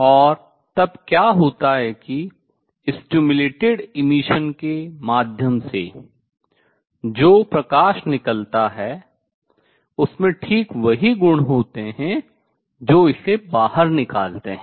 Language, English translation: Hindi, And what happens then is the light which comes out through stimulated emission has exactly the same properties that makes it come out